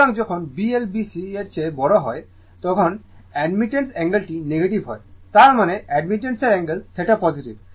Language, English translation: Bengali, So, when B L greater than B C that angle of admittance is negative; that means, angle of admittance theta is positive